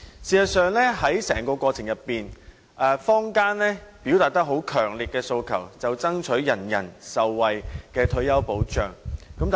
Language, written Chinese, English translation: Cantonese, 事實上，在整個過程中，坊間最強烈的訴求，便是爭取人人受惠的退休保障。, In fact throughout the entire process the community had expressed a strong aspiration for universal retirement protection